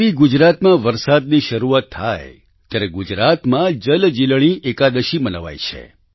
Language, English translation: Gujarati, For example, when it starts raining in Gujarat, JalJeelani Ekadashi is celebrated there